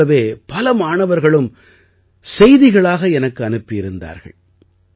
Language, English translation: Tamil, A similar thought was also sent to me by many students in their messages